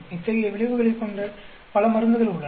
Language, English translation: Tamil, There are many drugs which have such effects